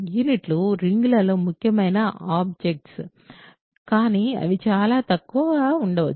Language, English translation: Telugu, So, units are important objects in rings, but they may be very few